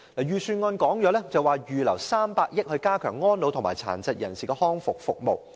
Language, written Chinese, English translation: Cantonese, 預算案指會預留300億元，以加強安老和殘疾人士的復康服務。, The Budget points out that 30 billion will be earmarked for the purpose of enhancing rehabilitation services for the elderly and people with disabilities